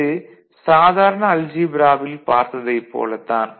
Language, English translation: Tamil, This is similar to what you see in ordinary algebra